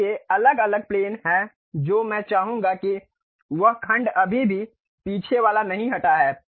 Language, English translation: Hindi, So, there are different planes I would like to have that section, still the back side one not removed you see